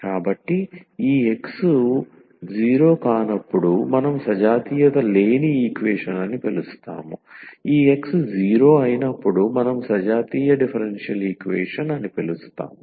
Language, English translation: Telugu, So, when this X is not 0 we call the non homogeneous equation, when this X is 0 we call as homogeneous differential equation